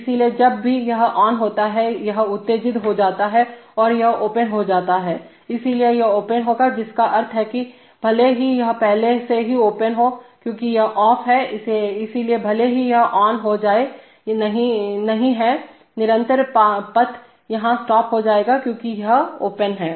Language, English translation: Hindi, So whenever this is on, this becomes excited and this becomes open, so this will be open, which means that, even if this is already open because this is off, so even if this is becomes on, there is no, the continuous path stops here because this is open